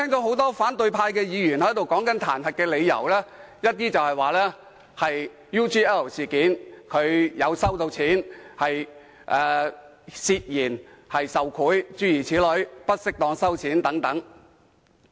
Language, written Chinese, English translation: Cantonese, 很多反對派議員在闡述彈劾理由時，都提到梁振英在 UGL 事件中收了錢，涉嫌受賄或不適當地收錢，諸如此類。, In expounding on the justifications for the impeachment many opposition Members have mentioned that LEUNG Chun - ying had received money in the UGL incident and he was alleged to receive bribes or receive payment inappropriately